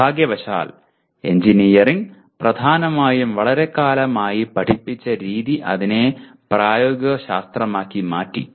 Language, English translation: Malayalam, Unfortunately over a long period of time, engineering way it is taught has predominantly become applied science